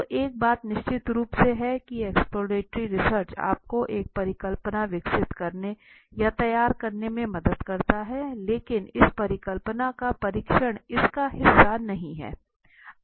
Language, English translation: Hindi, So one thing is for sure the exploratory test help you to develop or frame a hypothesis but testing the hypothesis is not a part of the story in the exploratory story or design